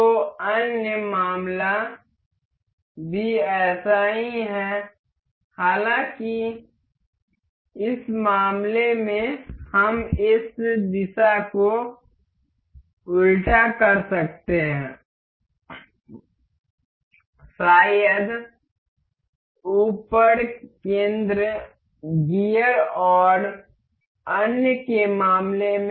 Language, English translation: Hindi, So, similar is the other case; however, in this case we can reverse these direction, in case of maybe epicenter gears and others